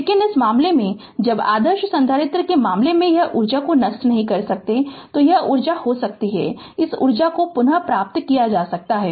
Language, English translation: Hindi, But in this case, when the case of ideal capacitor it cannot dissipate energy, energy can be this energy can be retrieved